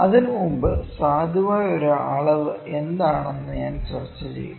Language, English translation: Malayalam, I will first discuss before that what is a valid measurement